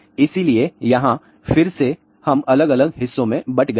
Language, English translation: Hindi, So, again here we have divided into different parts